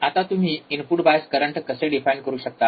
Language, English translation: Marathi, Now, thus, how you can define input bias current